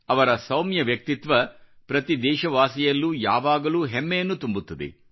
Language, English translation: Kannada, His mild persona always fills every Indian with a sense of pride